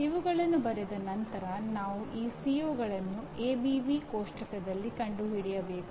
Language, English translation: Kannada, Now having written, we have to locate these COs in the ABV table